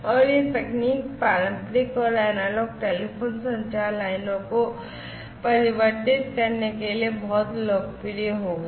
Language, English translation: Hindi, And, this particular technology became very popular in order to convert the conventional telephone, you know, analog telephone communication lines